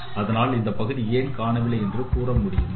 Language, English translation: Tamil, So can you tell that the why this part is missing